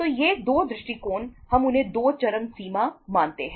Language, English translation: Hindi, So these 2 approaches we consider them they are the 2 extremes